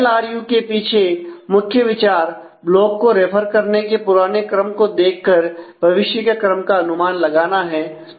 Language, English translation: Hindi, So, the idea of behind LRU is use the past pattern of block references as to predict the future